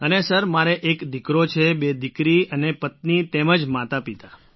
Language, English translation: Gujarati, And Sir, I have a son, two daughters…also my wife and parents